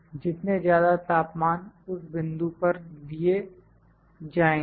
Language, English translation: Hindi, More the temperature at that point, temperature is taken